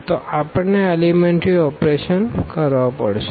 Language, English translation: Gujarati, So, for that we need to do this elementary operation